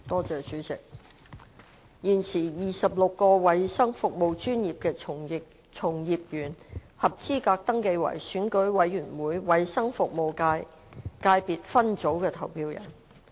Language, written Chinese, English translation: Cantonese, 主席，現時 ，26 個衞生服務專業的從業員合資格登記為選舉委員會衞生服務界界別分組的投票人。, President at present the practitioners of 26 healthcare professions are eligible to be registered as voters in the Health Services Subsector of the Election Committee